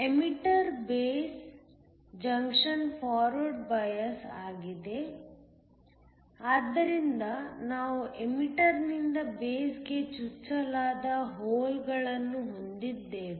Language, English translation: Kannada, The emitter based junction is forward biased, so we have holes that are injected from the emitter into the base